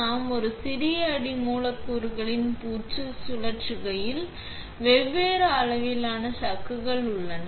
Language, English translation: Tamil, When we spin coating on a smaller substrate, we have chucks of different size